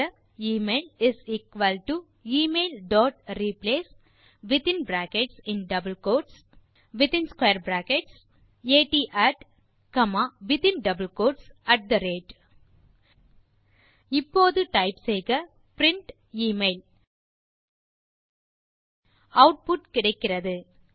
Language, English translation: Tamil, so type email is equal to email.replace then in brackets double quotes @ at square brackets comma then again in square bracket Now, type print email to get the output